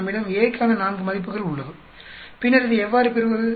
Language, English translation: Tamil, We have here, 4 values for A and then how do you get this